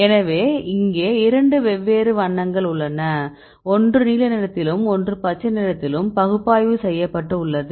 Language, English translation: Tamil, So, here you have two different colors, one is in blue and one is in green